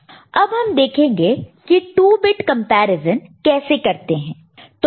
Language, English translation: Hindi, Now, let us look at how to do 2 bit comparison, right